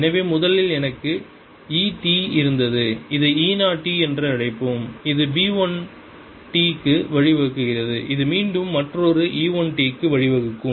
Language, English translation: Tamil, so originally i had e t, let's call it e, zero t, which is giving rise to ah, b one t, which in turn again will give rise to another e one t, and so on